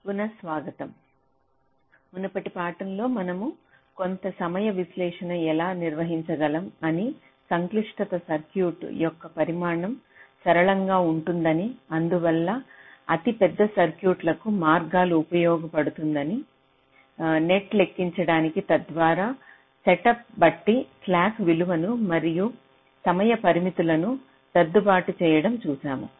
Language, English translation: Telugu, ah, what you have seen in our previous lectures is that how we can carry out some timing analysis, the complexity of which is linear in the size of this circuit and hence can be used for very large circuits, to enumerate the paths, the nets, so as to adjust the slack values depending on the set up and whole time constrains